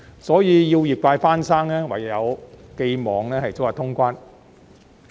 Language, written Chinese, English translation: Cantonese, 所以，要業界復生，唯有寄望早日通關。, Therefore the only way to revive the industry is to hope for the early resumption of cross - boundary travel